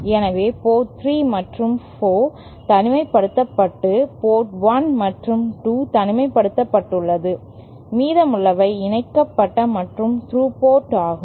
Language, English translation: Tamil, So, that is why port 3 and 4 are isolated and port 1 and 2 are isolated and the remaining are either through or coupled